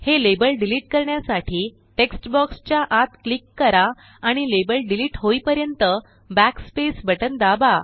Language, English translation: Marathi, To delete the labels, click inside the text box and press backspace till the label is deleted